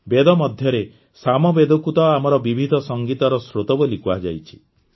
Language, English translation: Odia, In the Vedas, Samaveda has been called the source of our diverse music